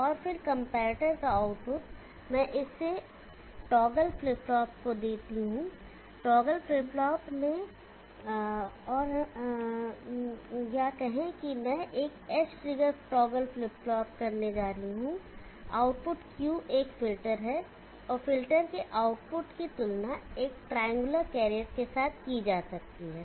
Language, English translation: Hindi, And then the output of the comparator let me give it to the toggle flip flop, in the toggle flip flop and let us say I am going to do edge triggered toggle flip flop the output Q is a filter, and the output filter is compared with a triangle carrier